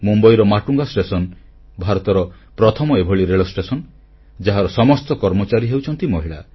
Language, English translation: Odia, Matunga station in Mumbai is the first station in India which is run by an all woman staff